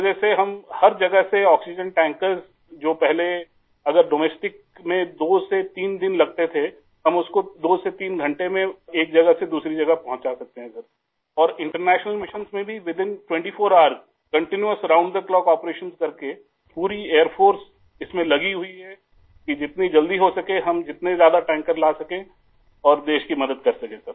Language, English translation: Urdu, We have completed nearly 160 international missions; due to which, from all places, oxygen tankers from domestic destinations which earlier took two to three days, now we can deliver from one place to another in two to three hours; in international missions too within 24 hours by doing continuous round the clock operations… Entire Air Force is engaged in this so that we can help the country by bringing in as many tankers as soon as possible